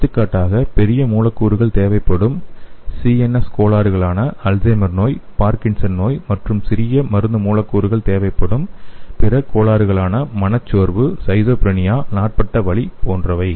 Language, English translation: Tamil, For example CNS disorders requiring the large molecules for drug therapy is, Alzheimer disease, Parkinson disease okay, and other disorders which need small drug molecules are like depression, schizophrenia, chronic pain, so these things need a small drug molecules